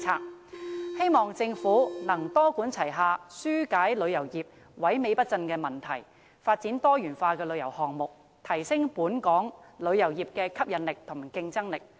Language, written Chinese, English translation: Cantonese, 我希望政府能夠多管齊下，紓解旅遊業萎靡不振的問題，並發展多元化的旅遊項目，以提升本港旅遊業的吸引力和競爭力。, I hope that the Government can adopt a multi - pronged approach to alleviate the problem of Hong Kongs deteriorating tourism industry and develop diversified tourism projects to enhance its attractiveness and competitiveness